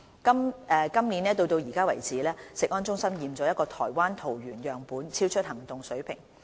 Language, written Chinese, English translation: Cantonese, 今年到現時為止，食安中心檢出一個台灣桃園樣本超出行動水平。, So far this year CFS has detected a hairy crab sample from Taoyuan Taiwan which has exceeded the action level